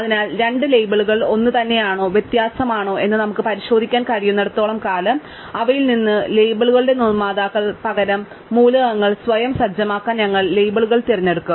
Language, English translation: Malayalam, So, as long as we can check whether two labels are the same or different, but rather than manufacturer set of labels out of them have, we will actually choose the labels to be set elements themselves